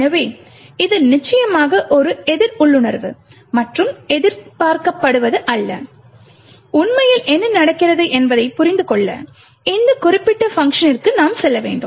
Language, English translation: Tamil, So, this is of course quite counter intuitive and not what is expected and in order to understand what actually is happening we would have to go into this particular function